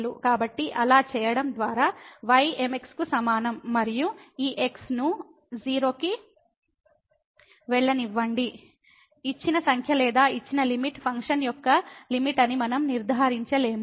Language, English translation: Telugu, So, by doing so y is equal to mx and letting this goes to , we cannot conclude that the given number or the given limit is the limit of the of the function